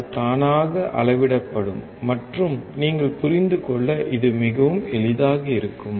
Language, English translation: Tamil, It will auto scale it and it will be very easy for you to understand